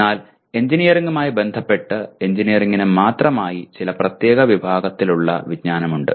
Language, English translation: Malayalam, But there are some specific categories of knowledge with respect to engineering, specific to engineering